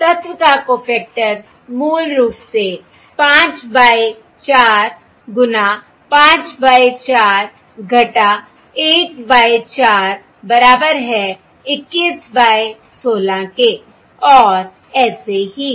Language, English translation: Hindi, The cofactor of this element is basically 5 by 4 times 5 by 4 minus